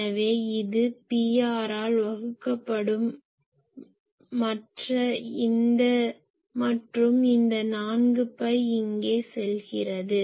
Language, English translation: Tamil, So, this is divided by P r and this 4 phi goes here